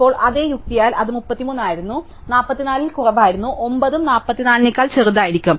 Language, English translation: Malayalam, Now, again by the same logic it was 33, was smaller than 44, 9 will also be smaller than 44